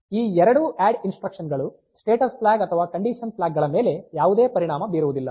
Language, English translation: Kannada, So, these two instructions, these two add instructions they do not affect the status flags or the condition flags